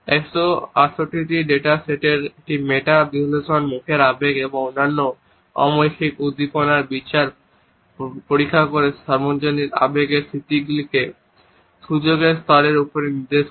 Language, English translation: Bengali, ” A meta analysis of 168 data sets examining judgments of emotions in the face and other nonverbal stimuli indicated universal emotion recognition well above chance levels